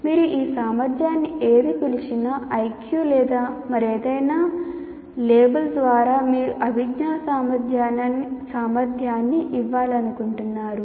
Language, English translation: Telugu, After all, whatever you call IQ or whatever it is, whatever label that you want to give, the cognitive ability